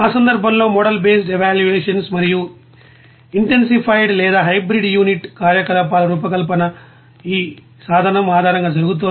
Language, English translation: Telugu, In that case model based evaluation and design of intensified or hybrid unit operations are being done based on this tool